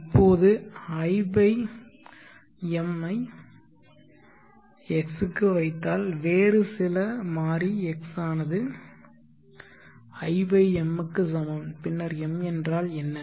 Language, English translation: Tamil, Now let us i/m to x some other variable x = i/m and then what is m